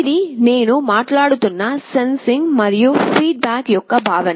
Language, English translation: Telugu, This is the notion of sensing and feedback I am talking about